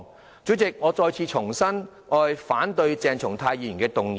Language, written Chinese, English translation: Cantonese, 代理主席，我重申我反對鄭松泰議員的議案。, Deputy President I repeat that I reject Dr CHENG Chung - tais motion